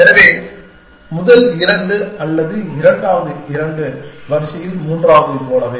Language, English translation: Tamil, So, either the first two are the second two are the third like in line it